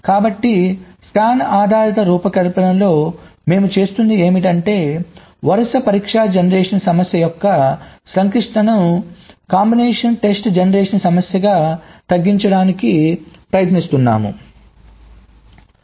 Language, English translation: Telugu, as i said, we are trying to reduce the complexity of sequential test generation problem into a combinational test generation problem